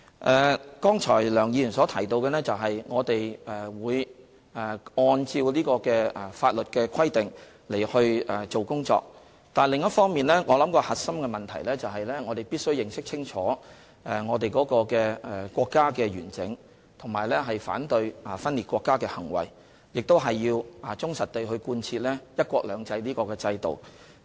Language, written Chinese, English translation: Cantonese, 梁議員剛才提到，我們會按照法律的規定來工作，但另一方面，我想核心問題是，我們必須認識清楚國家的完整，以及反對分裂國家的行為，亦要忠實地貫徹"一國兩制"的原則。, In reply to Dr LEUNGs question just now I would say we will do our work in accordance with the law . But on the other hand I think the core question is that we must fully recognize the territorial integrity of our country oppose any acts of secession and uphold the principle of one country two systems faithfully